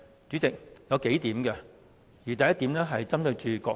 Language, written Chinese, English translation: Cantonese, 有數個原因，第一點是針對主席閣下。, There are several reasons and the first reason is related to you the Honourable President